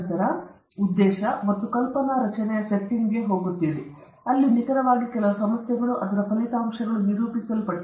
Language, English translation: Kannada, Then, we will go to the setting the objectives and hypothesis formation, where exactly some of the problem and its outcome are narrated